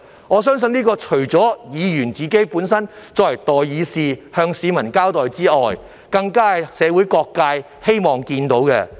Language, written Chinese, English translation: Cantonese, 我相信，這不單是作為代議士的議員須向市民有所交代，更是社會各界所希望看見的。, I believe that Members of this Council as peoples representatives in the legislature do have to be accountable to the public . This is also something that all quarters of society wish to see